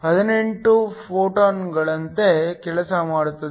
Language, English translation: Kannada, 17 x 1018 photons per second